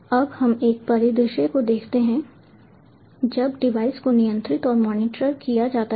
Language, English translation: Hindi, now let us look at a scenario when the device is controlled and monitored